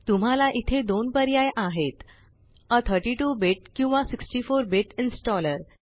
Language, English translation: Marathi, You have two options here a 32 bit or 64 bit installer